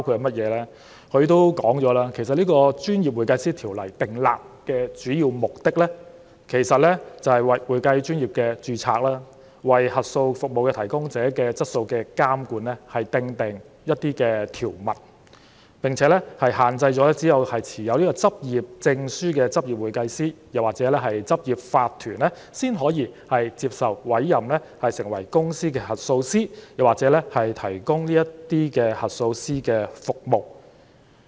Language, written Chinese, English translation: Cantonese, 總會表示，《專業會計師條例》訂立的主要目的，是為會計專業註冊、為監管核數服務提供者的質素訂定條文，並限制只有持有執業證書的執業會計師或執業法團，才可以接受委任成為公司核數師或提供核數師的服務。, According to HKAPA the main objectives of the Professional Accountants Ordinance are to provide for the registration of the accountancy profession and the quality control of audit service providers and to require that only certified accountant or corporate practice holding a practising certificate can be appointed as company auditor or provide the services of an auditor